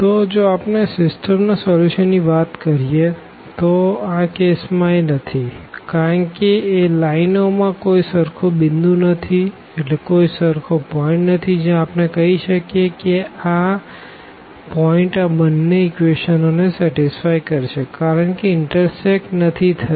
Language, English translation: Gujarati, So, if we talk about the solution of this system; so, it does not exist in this case because there is no common point on the lines where, we can we can say that this point will satisfy both the equations equation number 1 and equation number 2 because they do not intersect